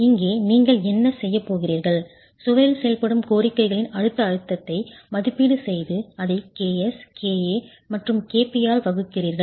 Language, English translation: Tamil, Here what you are going to do is you are making an estimate of the compressive stress from the demands acting on the wall and divide that by KA, KP and KS